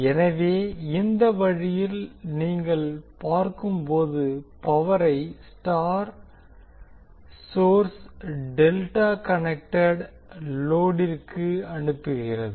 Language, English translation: Tamil, So in this way you can say that the star source is feeding power to the delta connected load